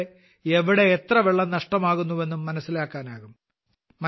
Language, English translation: Malayalam, From this it will also be ascertained where and how much water is being wasted